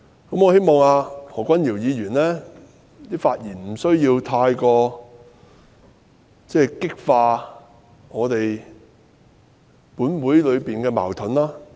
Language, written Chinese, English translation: Cantonese, 我希望何君堯議員在發言時避免激化本會的矛盾。, I hope Dr Junius HO can avoid stirring up conflicts in this Council when he speaks